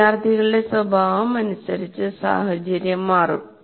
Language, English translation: Malayalam, So the nature of students will determine the situation